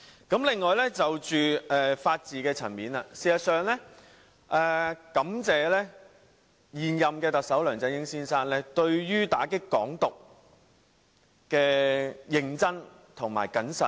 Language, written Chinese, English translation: Cantonese, 此外，在法治層面，我感謝現任特首梁振英先生對於打擊"港獨"的認真和謹慎。, At the level of the rule of law I am grateful to the incumbent Chief Executive Mr LEUNG Chun - ying for seriously and cautiously combating Hong Kong independence